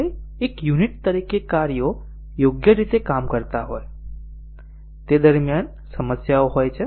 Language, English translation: Gujarati, Even though as a unit the functions worked correctly, during calling there are problem